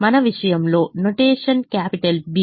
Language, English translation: Telugu, in our case we we use notation capital b